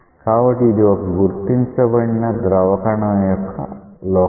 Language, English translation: Telugu, So, it is the locus of an identified fluid particle